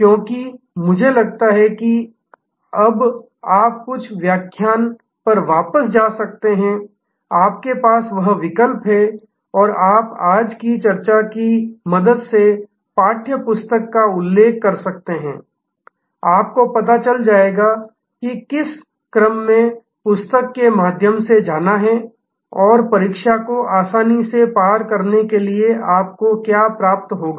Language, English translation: Hindi, Because I think you can now go back to some of the lectures, you have that option and you can refer to the text book with the help of today’s discussion, you will know that how to go through the book in what sequence and you will find the examination quite easy to tackle